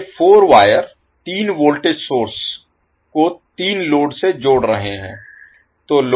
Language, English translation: Hindi, Now, these 4 wires are connecting the 3 voltage sources to the 3 loads